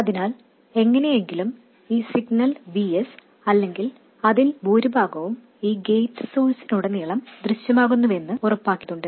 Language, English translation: Malayalam, So, somehow we have to make sure that the signal VS or most of it appears across gate source